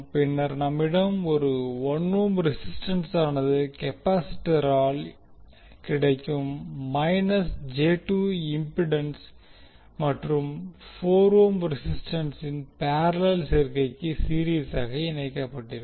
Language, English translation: Tamil, Then we have 1 ohm resistance and in series with parallel combination of minus j 2 impedance offered by the capacitance and 4 ohm resistance